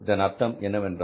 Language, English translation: Tamil, What does it mean now